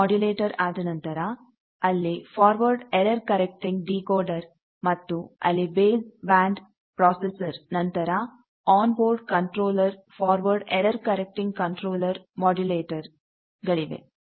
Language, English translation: Kannada, So, after demodulator you have there is a forward error correcting decoder then there is a base band processor then on mode controller forward error correcting controller modulator